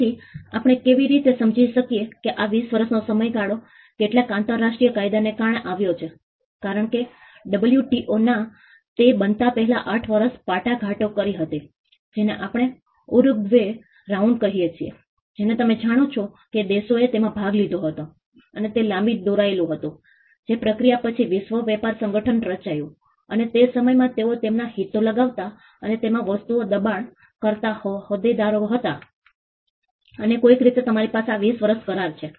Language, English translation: Gujarati, So, how do we understand this 20 year period came in because of some international law being because, WTO before it came into being they worked 8 years of negotiations what we call the Uruguay rounds you know countries participated in it and it was a long drawn process after which the world trade organization was formed and in that time, they were stakeholders putting up their interest and pushing things to it and somehow we have this agreement on 20 years